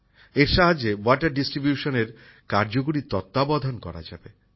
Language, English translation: Bengali, With its help, effective monitoring of water distribution can be done